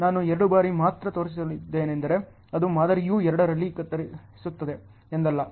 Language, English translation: Kannada, I have only showed two times it does not mean the model is chopping at two